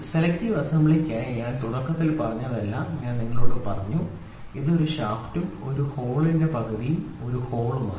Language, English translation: Malayalam, So, whatever I told in the beginning for selective assembly I told you it is it is one shaft and one hole one half that is one hole